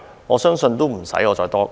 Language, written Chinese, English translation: Cantonese, 我相信無須我多說。, I believe I need not talk too much about this